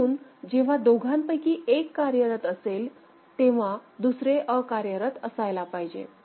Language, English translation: Marathi, So, when one of them is active, the other one should be inactive